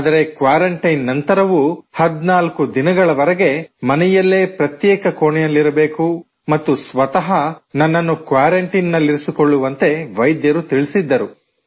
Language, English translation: Kannada, But even after quarantine, doctors told me to stay at home for 14 days…House quarantine for myself in my room